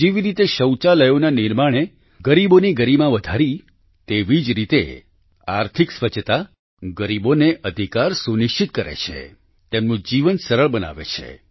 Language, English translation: Gujarati, The way building of toilets enhanced the dignity of poor, similarly economic cleanliness ensures rights of the poor; eases their life